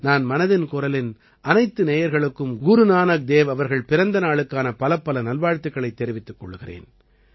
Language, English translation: Tamil, I convey my very best wishes to all the listeners of Mann Ki Baat, on the Prakash Parv of Guru Nanak DevJi